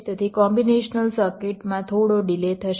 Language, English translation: Gujarati, so combination circuit will be having some delay